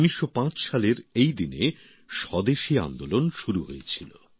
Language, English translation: Bengali, On this very day in 1905, the Swadeshi Andolan had begun